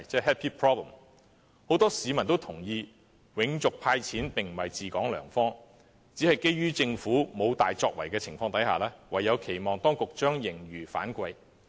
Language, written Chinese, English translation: Cantonese, 很多市民也認同，"永續派錢"並非治港良方，只是基於政府沒有大作為的情況下，唯有期望當局把盈餘反饋。, Many members of the public agree that sustaining the handout of cash forever is not a good way of governing Hong Kong . Yet in the absence of any great achievement by the Government they cannot but expect the authorities to plough back the surplus